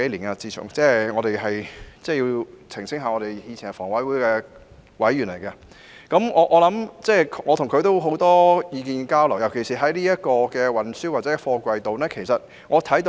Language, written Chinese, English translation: Cantonese, 我需要澄清，我和他以前都是香港房屋委員會的委員，彼此有很多意見交流，尤其是在運輸或貨櫃方面。, I have to clarify that he and I were both members of the Hong Kong Housing Authority and we used to exchange a lot of views particularly on matters relating to transport and containers